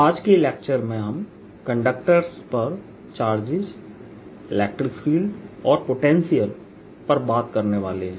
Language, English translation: Hindi, in today's lecture we're going to talk about electric field potential and charges on conductors